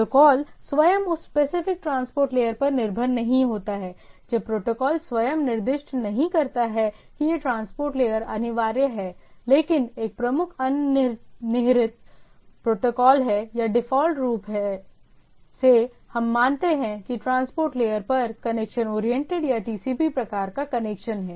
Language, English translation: Hindi, However, protocol itself do not depend in on the specific transport layer when the protocol itself is not specify that this transport layer is this transport layer is mandatory etcetera, but the predominant protocol, predominant underlying protocol or by default what we consider that the there is a connection oriented or TCP type of connection is there at the transport layer, right